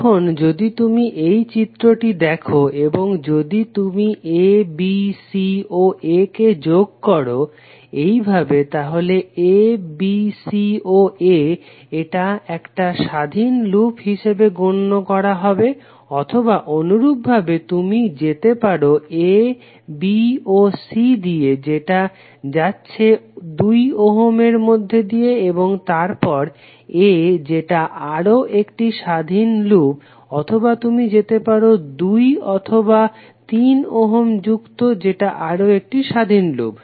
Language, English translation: Bengali, Now if you see this figure if you connect a, b, c and a in this fashion a, b, c and a this will be considered one independent loop or alternatively you can go with a, b and c which is through two ohm and then a that will be another independent loop or you can have two and three ohm connected that is also another independent loop